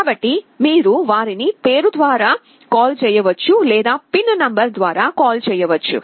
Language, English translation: Telugu, So, you can either call them by name or you can call them by the pin number